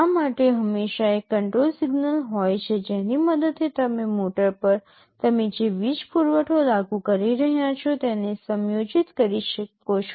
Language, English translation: Gujarati, For this there is often a control signal with the help of which you can adjust the power supply you are applying to the motor